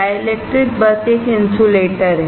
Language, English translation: Hindi, Dielectric is a simply an insulator